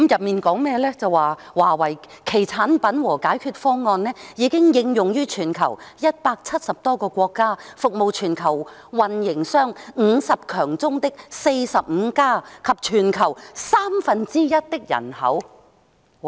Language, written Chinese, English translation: Cantonese, 便是"華為......產品和解決方案已經應用於全球170多個國家，服務全球運營商50強中的45家及全球三分之一的人口"。, They say Huawei and its products and solutions have been applied to more than 170 countries around the world serving 45 of the worlds top 50 operators and one - third of the worlds population